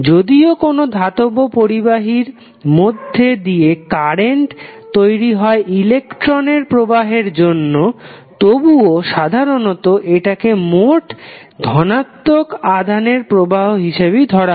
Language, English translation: Bengali, Although current in a metallic conductor is due to flow of electrons but conventionally it is taken as current as net flow of positive charge